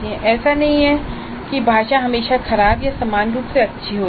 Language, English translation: Hindi, It is not that the language is always bad or uniformly good